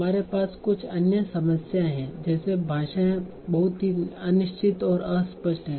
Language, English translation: Hindi, And then we have some other problems like language is very imprecise and weight